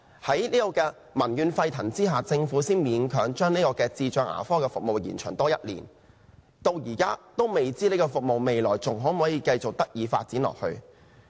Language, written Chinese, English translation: Cantonese, 在民怨沸騰下，政府才勉強將智障人士牙科服務計劃延長1年，但至今仍未知道這項服務還可否繼續發展。, It is only due to huge public outcries that the Government has reluctantly extended the trial programme for one year . However we still do not know if this service can continue to develop